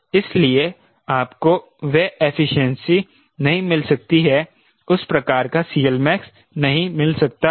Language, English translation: Hindi, so you may not get that efficiency, that sort of a c l max